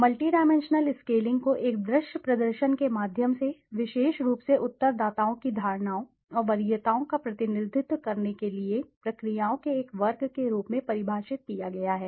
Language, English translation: Hindi, Multi dimensional scaling is defined as a class of procedures for representing perceptions and preferences of respondents special by means of a visual display